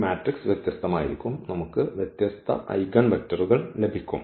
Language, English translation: Malayalam, So, this matrix is going to be different and we will get different eigenvectors